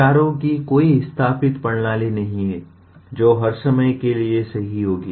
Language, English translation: Hindi, There is no established system of ideas which will be true for all times